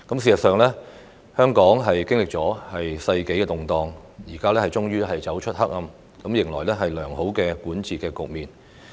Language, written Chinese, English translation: Cantonese, 其間，香港經歷了世紀動盪，現在終於走出黑暗，迎來良好的管治局面。, Now having come out of the darkness at last Hong Kong ushers in an era of good governance